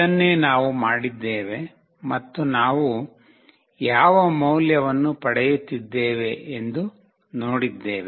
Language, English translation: Kannada, This is what we have done and we have seen that what value we are receiving